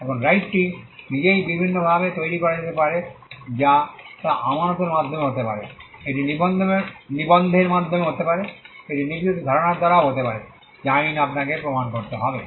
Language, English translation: Bengali, Now, the right itself is created in different ways it could be by deposit, it could be by registration, it could be by certain concepts which the law requires you to prove